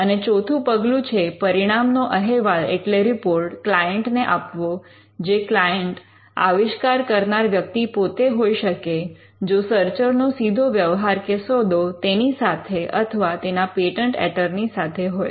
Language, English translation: Gujarati, And the fourth step would be to report the results to the client, which could be the inventor himself, if the searcher is directly dealing with the inventor or the patent attorney